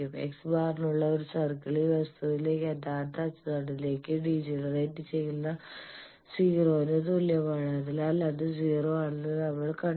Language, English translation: Malayalam, In a circle for X bar is equal to 0 that degenerates to a real axis of the thing, so we have shown that it is the 0